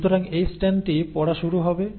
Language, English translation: Bengali, So this strand will start reading